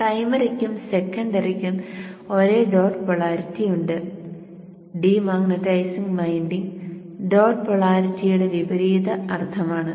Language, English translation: Malayalam, The primary and the secondary have the same sense of dot polarity and the demaritizing winding is the opposite sense of dot polarity and exactly that is what we are using